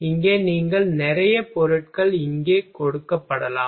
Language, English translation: Tamil, Here you can lot of materials are given here